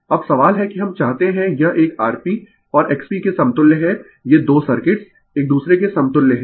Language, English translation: Hindi, Now, question is that we want this one is equivalent R P and X P, these 2 circuits are equivalent to each other right